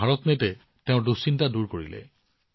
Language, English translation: Assamese, But, BharatNet resolved her concern